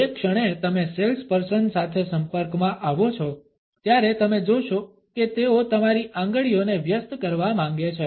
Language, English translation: Gujarati, The moment you come across a salesperson, you would find that they want to occupy your fingers